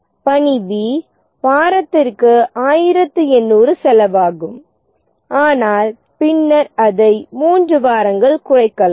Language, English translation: Tamil, Task B, 1800 is the cost per week but then it can at most be reduced by three weeks